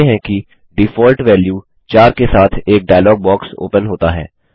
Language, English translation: Hindi, We see that a dialog box open with a default value 4